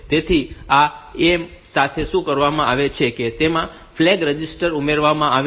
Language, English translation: Gujarati, So, what is done with this A, the flag register is added